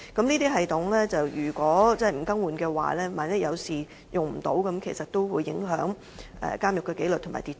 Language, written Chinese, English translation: Cantonese, 這些系統如果不更換的話，一旦發生事故而無法使用，便會影響監獄的紀律和秩序。, If these systems are not replaced discipline and also law and order in prisons will be affected in case they malfunction during emergencies